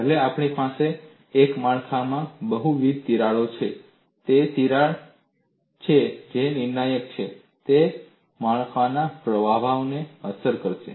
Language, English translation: Gujarati, Even though we have multiple cracks in a structure, it is the crack that is critical, is going to affect the performance of the structure